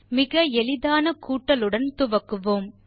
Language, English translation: Tamil, Start with the simplest thing, addition